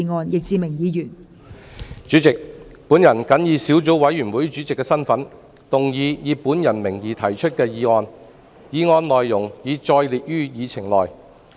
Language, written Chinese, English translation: Cantonese, 代理主席，我謹以小組委員會主席的身份，動議以我名義提出的議案，議案內容已載列於議程內。, Deputy President in my capacity as Chairman of the Subcommittee I move that the motion under my name as printed on the Agenda be passed